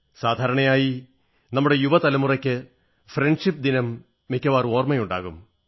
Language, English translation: Malayalam, Generally speaking, our young generation is more likely to remember 'Friendship Day', without fail